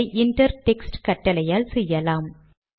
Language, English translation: Tamil, This can be achieved using the inter text command